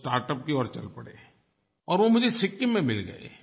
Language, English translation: Hindi, They have ventured towards startup and met me in Sikkim